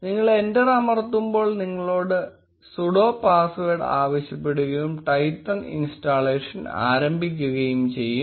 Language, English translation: Malayalam, When you press enter you will be asked for you sudo password and the installation of Twython will start